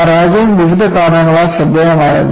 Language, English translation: Malayalam, The failure was spectacular for various reasons